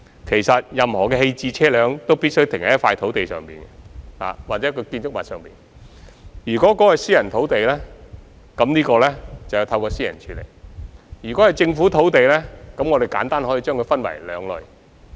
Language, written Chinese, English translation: Cantonese, 其實，任何棄置車輛均必須停泊在一塊土地上或建築物內，如果這塊土地是私人土地，便由業權擁有人來處理。, In fact any abandoned vehicle must be parked either on a land lot or in a building . If the land lot is a private lot the issue should be handled by the land owner